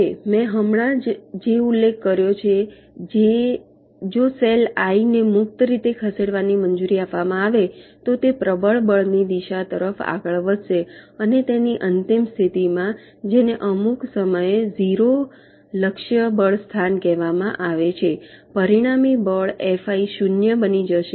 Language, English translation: Gujarati, now what i have just mentioned: if the cell i is allow to move freely, so it will be moving towards the direction of the dominant force and in its final position, which is sometime called the zero force target location, the resultant force, f